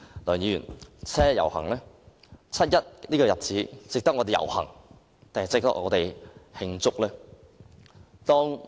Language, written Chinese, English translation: Cantonese, 梁議員，七一這個日子值得我們遊行還是慶祝？, Mr LEUNG should we take to the streets or hold celebrations on 1 July?